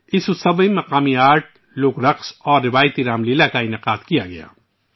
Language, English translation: Urdu, Local art, folk dance and traditional Ramlila were organized in this festival